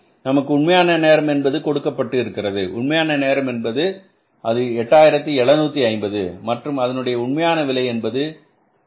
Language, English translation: Tamil, 25 minus we are given the actual time, actual time is how much, actual time is given to us is 875 and what is actually 8 that is 2